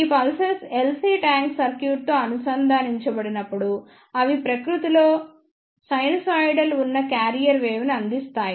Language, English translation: Telugu, When these pulses are connected with LC tank circuit then they provide the carrier wave which is of sinusoidal in nature